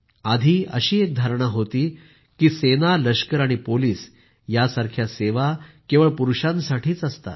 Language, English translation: Marathi, Earlier it was believed that services like army and police are meant only for men